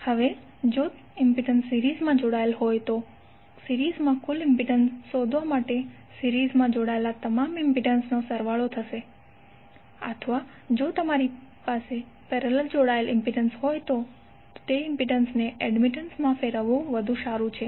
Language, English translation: Gujarati, Now, law of in impedance is in series and parallel are like when you want to find out the total impedance in a series connected it will be summation of all the impedances connected in series or if you have the parallel connected then better to convert impedance into admittance